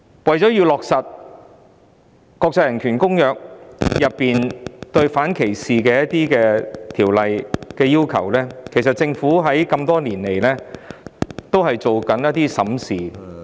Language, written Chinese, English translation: Cantonese, 為了落實國際人權公約中有關反歧視的一些要求，政府多年來審視......, In order to implement some of the anti - discrimination requirements of the international human rights treaties the Government has reviewed for years